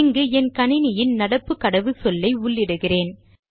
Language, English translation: Tamil, Here I would be typing my systems current password